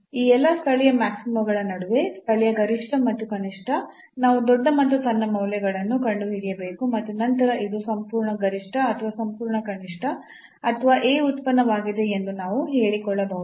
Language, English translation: Kannada, So, among all these local maximas a local maxima and minima we have to find the largest the smallest values and then we can claim that this is the absolute maximum or the absolute minimum or the a function